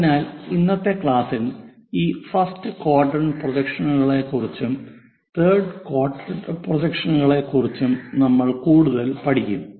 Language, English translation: Malayalam, So, in today's class we will learn more about this first quadrant projections